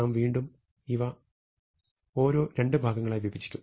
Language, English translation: Malayalam, We will against split each of these into two parts